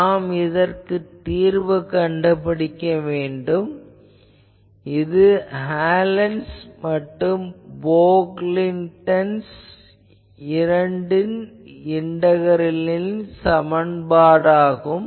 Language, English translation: Tamil, So, I need to solve it; so this integral equation for both Hallen’s and Pocklington’s, people have solved